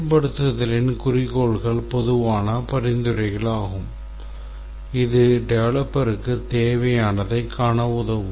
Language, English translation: Tamil, Whereas goals of implementation are just general suggestions which can help the developer to see what is required but these will not be tested